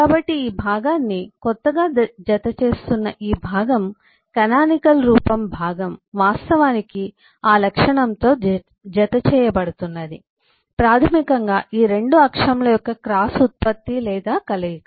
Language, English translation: Telugu, so this, this part, which is which is being added new, this part, the canonical form part, which is eh actually being added with those attribute, is basically eh, a cross product or combination of the these, these 2 axis